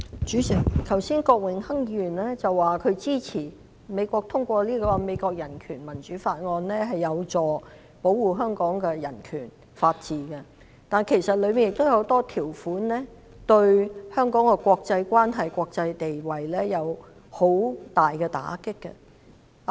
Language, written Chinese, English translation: Cantonese, 主席，剛才郭榮鏗議員說他支持美國通過《香港法案》，認為有助保護香港的人權及法治，但其實當中亦有很多條款對香港的國際關係及國際地位有很大打擊。, President just now Mr Dennis KWOK said he supported the passage of the Hong Kong Act by the United States and considered it conducive to the protection of the human rights and rule of law in Hong Kong . But actually a number of its provisions will severely undermine Hong Kongs international relations and status